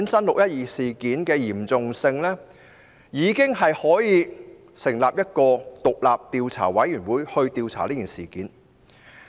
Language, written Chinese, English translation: Cantonese, "六一二"事件十分嚴重，足以成立專責委員會進行調查。, The 12 June incident was serious enough to justify the formation of a select committee for investigation